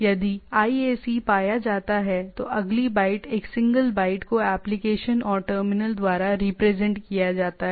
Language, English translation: Hindi, If the IAC is found, the next byte is if a IAC found, the next byte is IAC, a single byte is represented to application and terminal